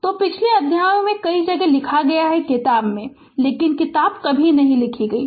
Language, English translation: Hindi, So, in the previous chapters many places I have written that in the book, but book was never written right